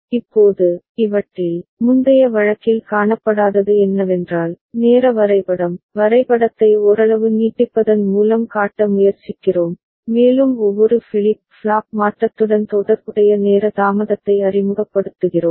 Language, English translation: Tamil, Now, in these, what was not visible in the previous case that is the timing diagram, that we are trying to show by stretching the diagram somewhat ok, and introducing the time delay associated with each flip flop transition ok